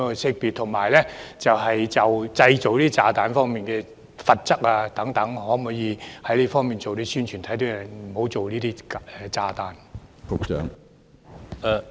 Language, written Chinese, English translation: Cantonese, 此外，就製造炸彈方面的罰則等，可否做一些宣傳，警惕市民不要製造炸彈。, In addition will any publicity be made on the penalties for manufacturing of bombs so as to warn members of the public not to make bombs?